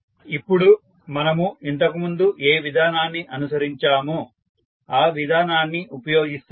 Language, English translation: Telugu, Now, what procedure we followed previously we will just use that procedure